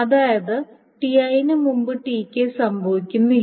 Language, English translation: Malayalam, The TK is not happening before T